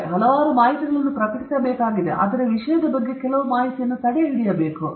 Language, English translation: Kannada, And several information about the subjects need to be published, but certain information about the subject should be withheld